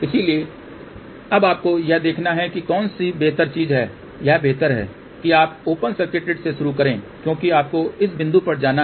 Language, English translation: Hindi, So, now you have to see which one is a better thing it is better that you start from open circuit you because you have to move to this point